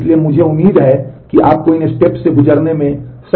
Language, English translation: Hindi, So, I expect that you should be able to go through these steps